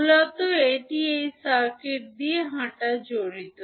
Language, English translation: Bengali, Basically it involves walking through this circuit